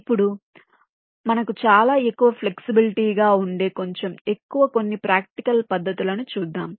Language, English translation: Telugu, ok, now let us move into some methods which are little more practical in the sense that we have lot more flexibility here